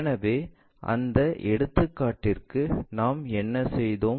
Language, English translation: Tamil, So, for that problem what we have done